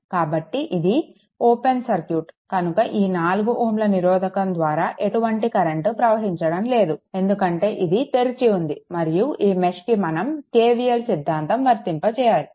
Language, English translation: Telugu, So, the this is open circuit, so no current is flowing through this 4 ohm resistance, because this is open and therefore, you apply your what you call that KVL in this mesh